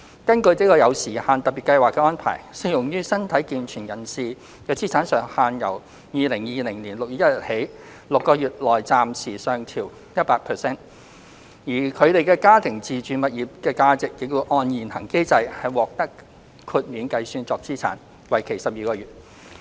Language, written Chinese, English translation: Cantonese, 根據這有時限的特別計劃的安排，適用於身體健全人士的資產上限由2020年6月1日起6個月內暫時上調 100%， 而他們家庭的自住物業的價值亦會按現行機制獲豁免計算作資產，為期12個月。, According to the arrangements under this time - limited Special Scheme the asset limits for able - bodied persons have been temporarily relaxed by 100 % for six months starting from 1 June 2020 . The value of their familys owner - occupied residential property will also be disregarded for a grace period of 12 months according to the established mechanism